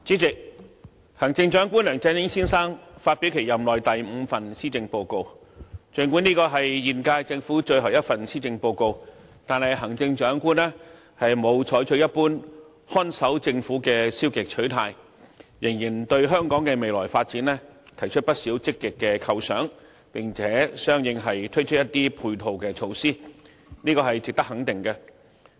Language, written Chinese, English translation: Cantonese, 主席，行政長官梁振英先生發表其任內第五份施政報告，儘管這是現屆政府最後一份施政報告，但行政長官沒有採取一般看守政府的消極態度，仍然對香港的未來發展提出不少積極的構想，並相應地推出一些配套措施，這是值得肯定的。, President the Chief Executive Mr LEUNG Chun - ying has delivered the fifth Policy Address in his term of office . Although this is the last Policy Address of the current - term Government the Chief Executive does not adopt a passive approach characteristic of a caretaker government . Rather he has still put forward many positive ideas on the future development of Hong Kong and a number of supporting measures